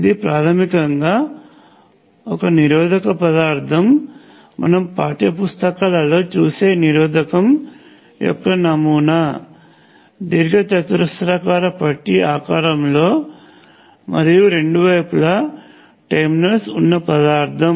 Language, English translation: Telugu, It is basically some resistive material, the prototype that you see in text books consists a rectangular bar of resistive material with one terminal here and other terminal there